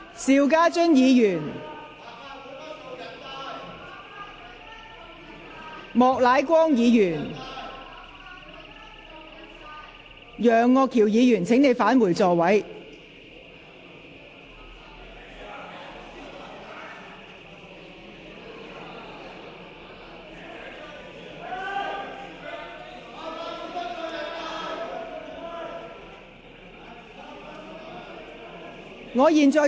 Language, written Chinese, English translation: Cantonese, 邵家臻議員、莫乃光議員、楊岳橋議員，請返回座位。, Mr SHIU Ka - chun Mr Charles Peter MOK Mr Alvin YEUNG please return to your seats